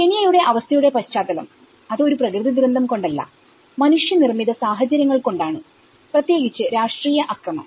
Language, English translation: Malayalam, The background of Kenyan condition, it is not a natural disaster but it is a kind of manmade situations especially the political violence